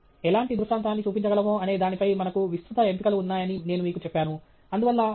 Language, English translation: Telugu, I told you that we have a wide range of choice in terms of what kind of illustration we can show